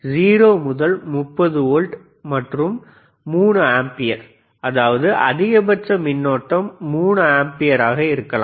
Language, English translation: Tamil, 0 to 30 volts and 3 ampere;, means, maximum current can be 3 ampere